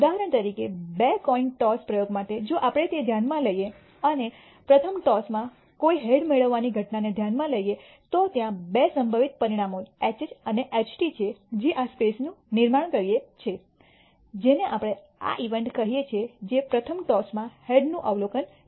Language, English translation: Gujarati, For example, for the two coin toss experiment if we consider that and consider the event of receiving a head in the first toss then there are two possible outcomes that con stitute this even space which is HH and HT we call this event a which is the observation of a head in the first toss